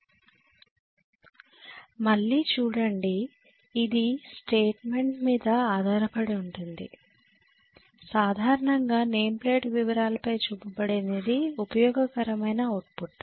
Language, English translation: Telugu, See again it depends upon the statement generally what is shown on the name plate detail is useful output